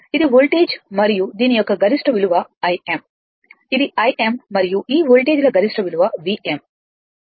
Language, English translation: Telugu, It is the voltage and the peak value for this one is your I m it is I m and peak value for this voltages is V m right